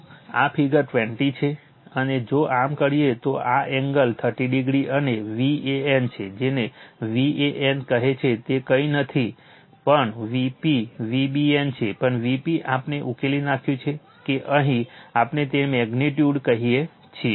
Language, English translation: Gujarati, So, this is figure 20 one and if you do so, if you do so, this angle is 30 degree right and your V an, your what you call V an is nothing, but your V p V bn also V p we solved that here what we call all these magnitude